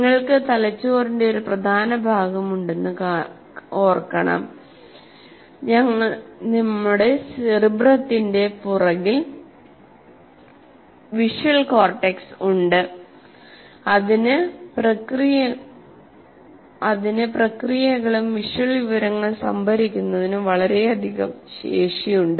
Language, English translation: Malayalam, That one should remember that you have a significant part of the brain at the backside of our what do you call cerebrum, that visual cortex has enormous capacity to both process and store information